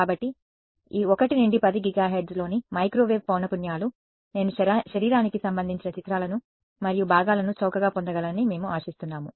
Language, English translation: Telugu, So, microwave frequencies in this 1 to 10 gigahertz we can hope that I can get through and through pictures of the body and components are cheap ok